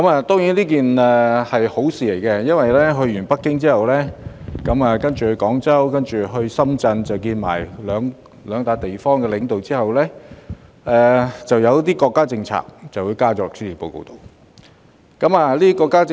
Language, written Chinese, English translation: Cantonese, 當然，這也是一件好事，因為在訪京後，她再到廣州及深圳與當地領導會面，其後便將一些國家政策納入施政報告。, Of course this would do us good because she went over to Guangzhou and Shenzhen to meet with the leaders there following her visit to Beijing after which she incorporated some national policies into her policy address